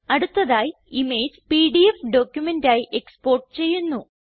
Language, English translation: Malayalam, Next lets export the image as PDF document